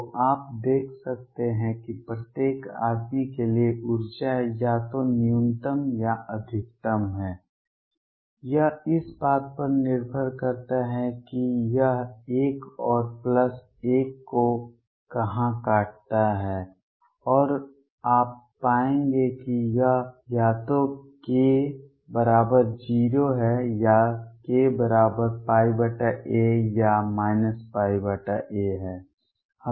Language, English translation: Hindi, So, you can see for each man energy is either minimum or maximum depending on where this cuts this 1 and plus 1 and you will find that this is either k equals 0 or k equals pi by a or minus pi by a